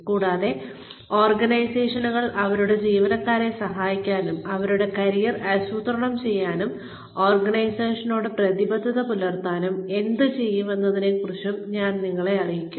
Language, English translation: Malayalam, And, i will also inform you about, what organizations do, in order to, help their employees, plan their careers, and still stay committed to the organization